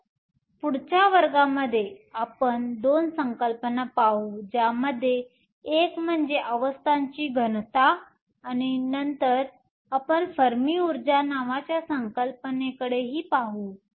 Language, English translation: Marathi, So, in the next class, we will look at the couple of concepts one of which is called density of states then we will also look at the concept called Fermi energy